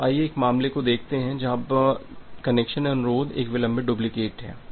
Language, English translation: Hindi, So, let us see a case when the connection request is a delayed duplicate